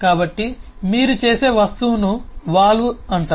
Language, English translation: Telugu, so the object through which you do that is called a valve